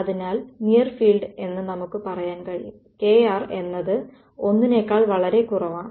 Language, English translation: Malayalam, So, if the near field what we can say is that, k r is much much less than 1